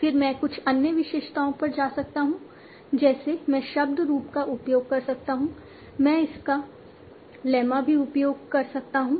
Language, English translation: Hindi, Then I can go to some other attributes like I can use the word form, I can use also its lemma